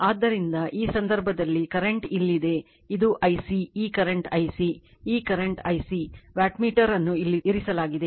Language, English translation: Kannada, So, in this case your , current is here it is I c this current is your I c right , this current is I c right the , wattmeter is placed here